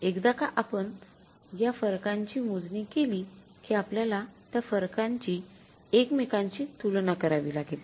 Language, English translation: Marathi, Once you calculate all these variances, you have to now compare these variances with each other